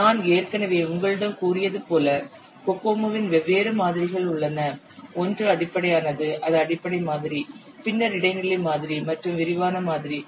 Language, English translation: Tamil, As I have already told you there are different models of Kokomo, the fundamental one the basic model, then intermediate model and detailed model